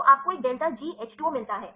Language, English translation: Hindi, So, you get the, a delta G H 2 O right